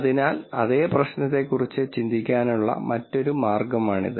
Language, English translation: Malayalam, So that is one other way of thinking about the same problem